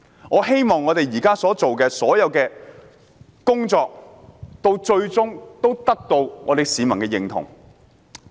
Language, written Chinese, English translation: Cantonese, 我希望我們現時做的工作，最終能得到市民的認同。, I hope our efforts will eventually receive public recognition